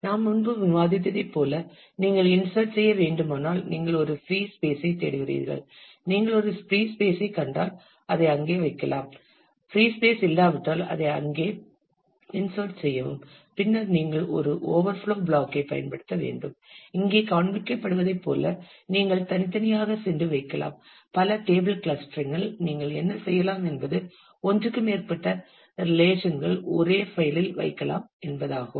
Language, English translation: Tamil, As you have we have discussed earlier, and if you have to insert then you look for a free space, if you find a free space you can put it there you insert it there if there is no free space then you have to use a overflow block, where you can go and place that separately as the dilemma shows here; in a multi table clustering what you would do is more than one relation could be kept in the same file